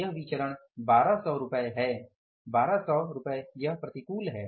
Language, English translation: Hindi, This variance is going to be 1,200 rupees and this is adverse